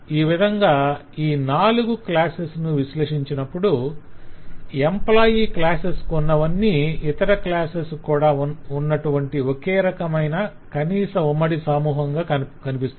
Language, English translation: Telugu, so in this way when we analyze all these four classes we find that this class the employee class has kind of the common minimum staff which all other classes have